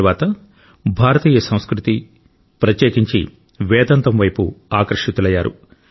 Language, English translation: Telugu, Later he was drawn towards Indian culture, especially Vedanta